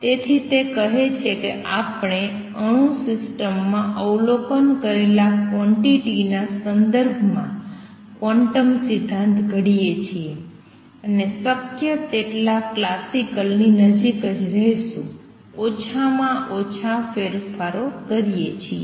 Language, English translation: Gujarati, So, he says formulate quantum theory in terms of quantities that we observe in an atomic system, and remain as close to the classical as possible make minimum changes